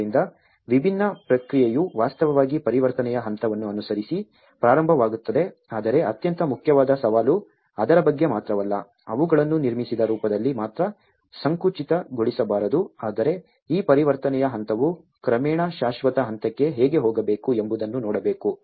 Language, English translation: Kannada, So, different process which starts actually following the transition stage but the most important challenge is not only about it should not be narrowed them only at the built form but one has to look at how this transition stage has to gradually go into the permanent stage